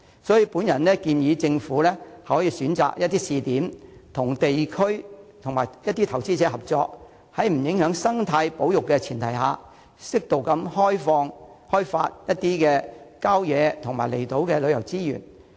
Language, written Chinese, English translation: Cantonese, 所以，我建議政府可選擇試點，與地區及投資者合作，在不影響生態保育的前提下，適度地開發郊野和離島的旅遊資源。, In this connection I suggest that the Government can select some trial points and in collaboration with the districts and investors appropriately develop tourism resources in country parks and outlying islands on the premise of not compromising ecological conservation